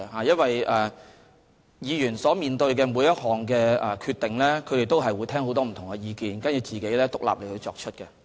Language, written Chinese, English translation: Cantonese, 議員面對每項決定時，他們都會聽取很多不同意見，然後再獨立作出決定。, When Members make any decisions they will listen to many different opinions and make independent decisions